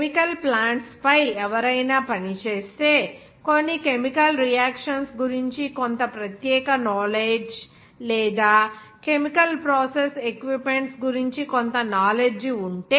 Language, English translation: Telugu, If anybody works on the chemical plants which some special knowledge of some chemical reaction or some knowledge of chemical process equipment